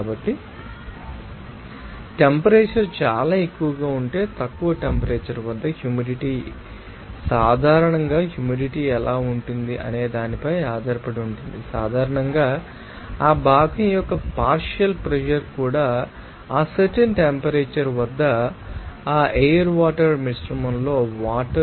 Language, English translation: Telugu, So, if there is if you know the temperature is you know very high then what will be the humidity at low temperature what will be the humidity that depends on also usually the partial pressure of that, you know, components that is water in that you know air water mixture at that particular temperature